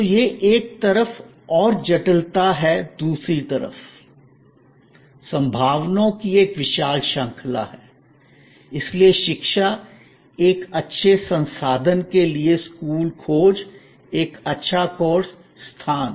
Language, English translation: Hindi, So, this on one hand complexity on another hand, a huge range of possibilities, so education, post school search for a good institution, a good course, location